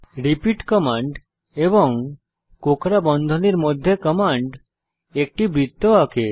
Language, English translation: Bengali, repeat command followed by the code in curly brackets draws a circle